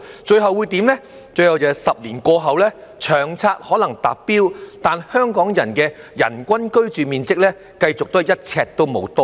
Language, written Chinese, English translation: Cantonese, 最後 ，10 年過去後，《長策》可能達標，但香港人的人均居住面積繼續"一呎都無多到"。, At the end of the day after a decade has passed the targets of LTHS may have been achieved but the average living space per person for Hong Kong people will not have the slightest improvement